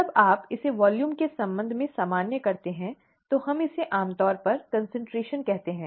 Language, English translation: Hindi, When you normalize it with respect to volume, we call it concentration usually